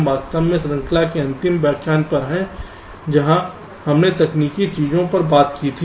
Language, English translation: Hindi, this is actually the last lecture of the series where we talked technical things